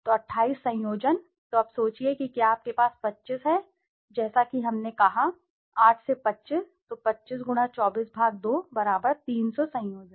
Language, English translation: Hindi, So 28 combinations, so now just imagine if you have 25 as we said 8 to 25 so 25 x 24 /2 = 300 combinations